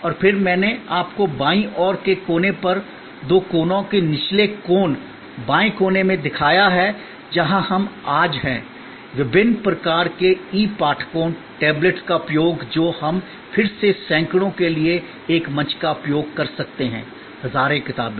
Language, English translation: Hindi, And then, I have shown you on the left side corner, the two corners bottom corners, the left corner is where we are today, the use of different kinds of e readers, tablets which can be use us a platform for again hundreds, thousands of books